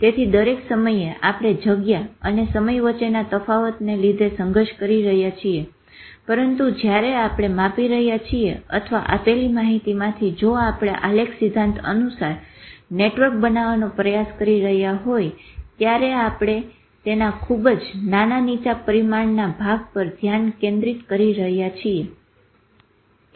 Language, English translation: Gujarati, So all the time we are struggling with this space or time differentiation but when we are measuring or even from the given data if we are making network according to graph theory, still we are focusing on a very small low dimension part of it